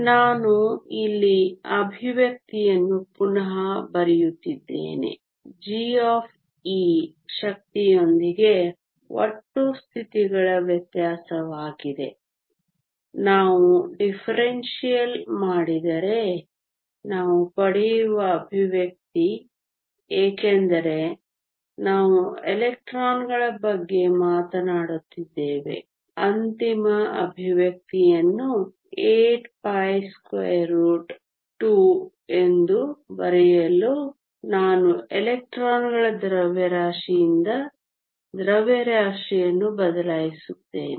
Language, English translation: Kannada, Let me rewrite the expression here g of e is the differential of the total number of states with respect to energy if we do the differential, expression we get since we are talking about electrons I will replace the mass by the mass of the electrons to write the final expression is 8 pi root 2